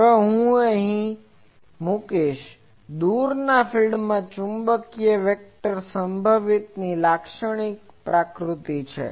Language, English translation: Gujarati, Now, I leave it here; a typical nature of a magnetic vector potential in the far field